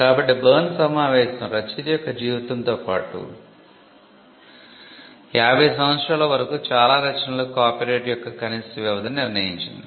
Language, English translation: Telugu, So, the Berne convention fixed the minimum duration of copyright for most works as life of the author plus 50 years